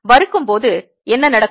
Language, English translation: Tamil, what happens in frying